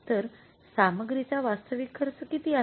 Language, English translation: Marathi, And what is actual cost of the material